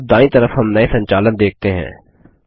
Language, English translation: Hindi, Now on the right we see new controls